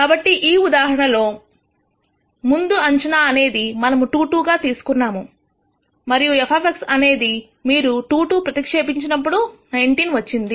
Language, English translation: Telugu, So, initial guess in this case that we have chosen is about 2 2 and f of X naught value when you substitute this 2 2 is 19